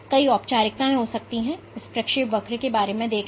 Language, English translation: Hindi, So, there can be multiple formalisms, think of just this trajectory here